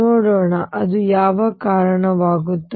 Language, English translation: Kannada, Let us see; what does that lead to